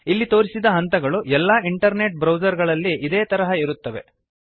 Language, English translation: Kannada, The steps shown here are similar in all internet browsers